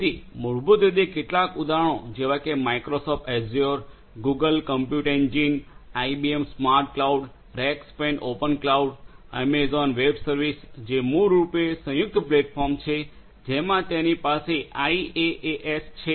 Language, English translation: Gujarati, So basically some examples are Microsoft Azure, Google Compute Engine, IBM SmartCloud, Rackspace Open Cloud, Amazon Web Services which is basically in way combined platform you know it has the IaaS and few different other you know service models are also implemented in Amazon web services and so on